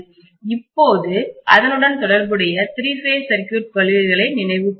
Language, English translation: Tamil, Now let us recall some of the principles corresponding to three phase circuits